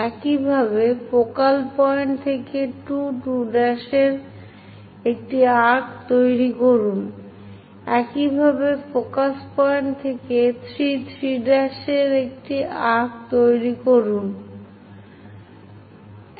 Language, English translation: Bengali, Similarly, from focal point make an arc of 2 2 dash, similarly from focus point make an arc of 3 3 dash and so on